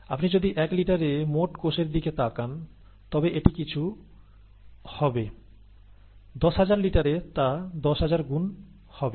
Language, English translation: Bengali, If you are looking at total cells in the one litre, it will be something; in the ten thousand litre, it will be ten thousand times that, okay